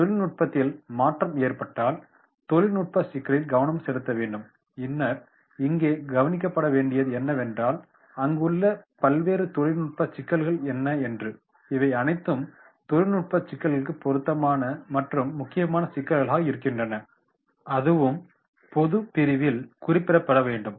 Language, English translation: Tamil, Then if there is a change of technology then technological issues that is to be taken into consideration and then that is to be noted down here that is what are the different technological issues are there and making these all technical issues relevant and prominent issues and that will be noted down in general category